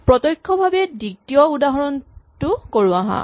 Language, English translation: Assamese, Let us directly do the second example